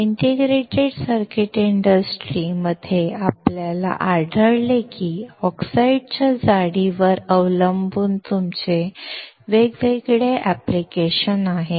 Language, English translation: Marathi, In Integrated Circuit industry, we find that depending on the thickness of the oxide you have different applications